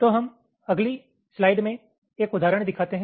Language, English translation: Hindi, so we show an example in the next slide